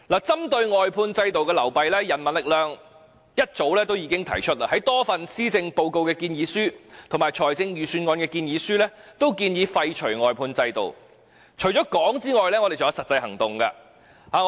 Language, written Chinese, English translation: Cantonese, 針對外判制度的流弊，人民力量早已在多份施政報告及財政預算案建議書均建議廢除外判制度，除了提出建議外，我們也有實際行動。, To address the shortcomings of the outsourcing system the People Power has already proposed the abolition of the outsourcing system in a number of proposals for policy addresses and budgets . Other than making proposals we have also taken practical actions